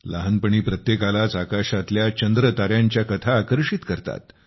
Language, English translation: Marathi, During one's childhood, stories of the moon and stars in the sky attract everyone